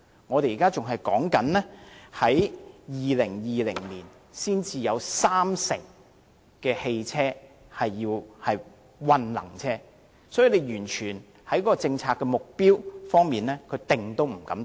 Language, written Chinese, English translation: Cantonese, 我們現時仍然說到了2020年，才有三成汽車屬混能車，所以在政策目標方面，政府是完全不敢制訂。, Even now we are still talking about having 30 % of all our vehicle being hybrid vehicles by 2020 . That is why the Government simply does not dare to formulate any policy objectives at all